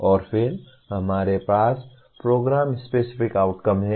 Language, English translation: Hindi, And then we have Program Specific Outcomes